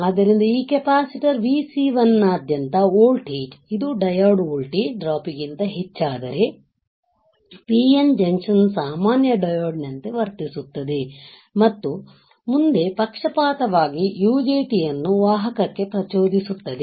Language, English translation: Kannada, So, when the voltage across this capacitor Vc1, this one becomes greater than the diode voltage drop the PN junction behaves as normal diode and becomes forward biased triggering UJT into conduction, right